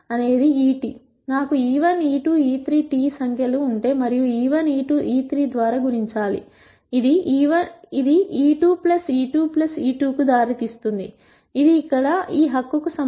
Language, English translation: Telugu, So, if I have numbers e 1 e 2 e 3 transpose and multiply by e 1 e 2 e 3, this will lead to e 1 square plus e 2 square plus e 3 square which is the same as this right here